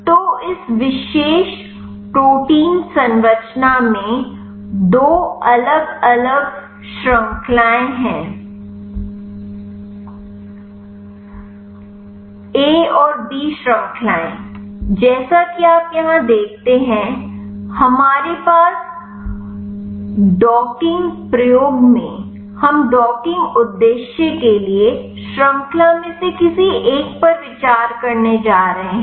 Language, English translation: Hindi, So, this particular protein structure has two different chains a and b chains as you see here, in our docking experiment we are going to consider any of the one of the chain for the docking purpose